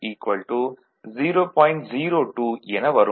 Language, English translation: Tamil, 05 and it is 0